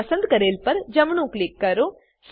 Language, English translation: Gujarati, Now, right click on the selection